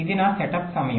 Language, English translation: Telugu, ok, this is the setup time